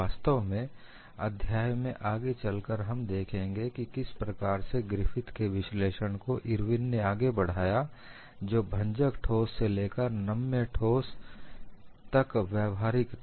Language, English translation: Hindi, In fact, we would look up later in the chapter, how Irwin extended the analysis of Griffith which was applicable to brittle solids to ductile solids